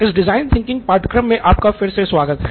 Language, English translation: Hindi, Hello and welcome back to the design thinking course that we have